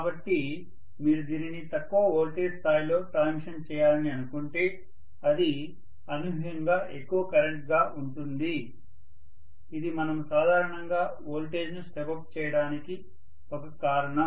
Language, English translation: Telugu, So if you think of transmitting this at lower voltage level, it is going to be unimaginably large current that is a reason why we step up generally the voltages